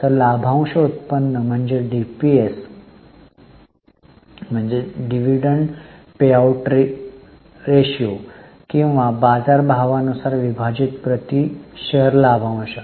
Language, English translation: Marathi, So, dividend yield refers to DPS or dividend per share divided by market price